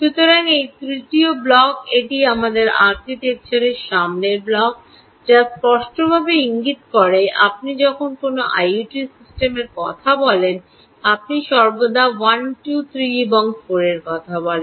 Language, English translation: Bengali, this is the forth block of our architecture, which clearly indicates that when you talk of an i o t system, you talk of one, two, three and four